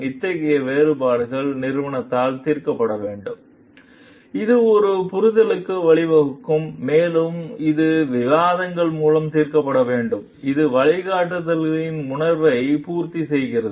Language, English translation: Tamil, Such differences should be resolved by the company, it should be resolved by discussions leading to the understanding, which meets the spirit of the guidelines